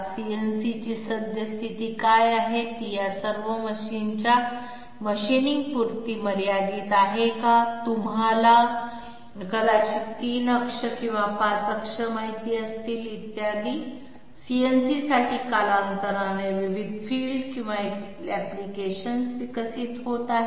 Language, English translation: Marathi, What is the current status of CNC, is it restricted to all these machines machining and you know 3 axis or 5 axis maybe, etc, there are different fields or applications developing overtime for CNC